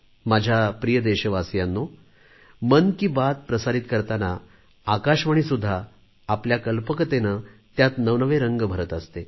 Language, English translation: Marathi, My dear countrymen, in 'Mann Ki Baat', All India Radio too infuses myriad novel hues of creativity and imagination